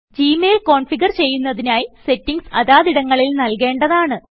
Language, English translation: Malayalam, To configure Gmail manually, you must enter these settings in the respective fields